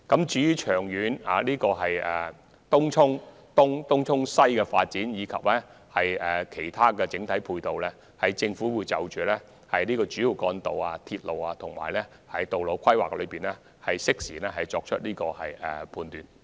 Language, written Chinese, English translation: Cantonese, 就東涌東及東涌西的長遠發展，以及其他整體交通配套，政府會在主要幹道、鐵路和道路規劃方面作出適時判斷。, In relation to the long - term development of Tung Chung East and Tung Chung West and also other overall ancillary transport facilities the Government will make a timely judgment in its strategic planning for primary distributor roads railways and roads